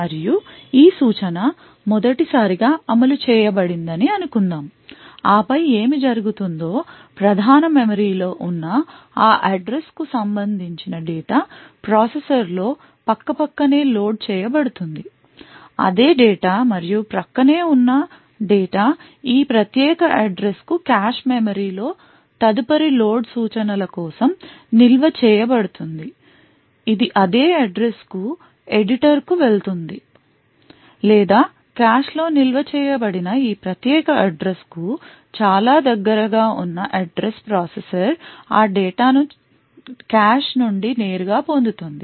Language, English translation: Telugu, And let us say that this instruction is executed for the first time so and then what would happen is the data corresponding to that address which is present in the main memory is loaded into the processor side by side also that same data and data which is adjacent to this particular address is stored in the cache main memory for a subsequent load instruction which is going to an editor to the same address or an address very close to this particular address which is stored in the cache the processor would directly fetch that data from the cache